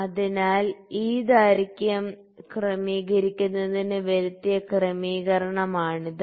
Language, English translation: Malayalam, So, this is the adjustment that is made to adjust this length